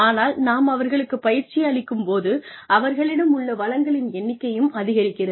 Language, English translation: Tamil, And, but at the same time, when we train them, the number of resources they have, at their disposal increases